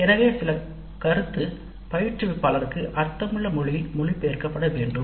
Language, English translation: Tamil, So some feedback has to be translated into a language that makes sense to the instructor